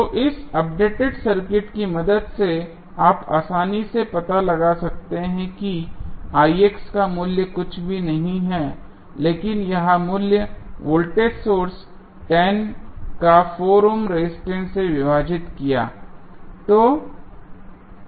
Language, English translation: Hindi, So, we with the help of this updated circuit, you can easily find out the value of Ix is nothing but 10 that is the value of the voltage source then we divided by 4 ohm resistance